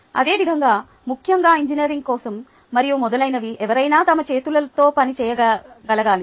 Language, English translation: Telugu, similarly, for, especially for engineering and so on, so forth, somebody must be able to work with their hands